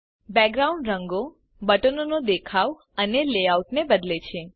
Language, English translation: Gujarati, Changes the background colors, the look of the buttons and the layout